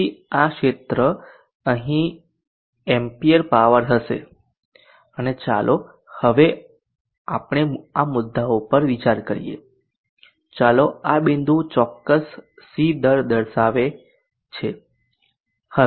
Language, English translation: Gujarati, So this area here would be the amp powers and let us consider this points for now, let this point indicate a particular series